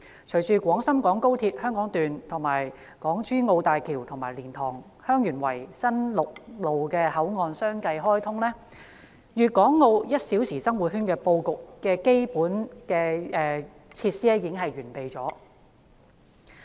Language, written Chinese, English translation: Cantonese, 隨着廣深港高鐵香港段、港珠澳大橋和蓮塘/香園圍新陸路口岸相繼開通，粵港澳'一小時生活圈'的布局已基本完備。, With the commissioning of the Hong Kong Section of the Guangzhou - Shenzhen - Hong Kong Express Rail Link the HZMB and the new land boundary control point at LiantangHeung Yuen Wai a one - hour living circle encompassing Guangdong Hong Kong and Macao is basically formed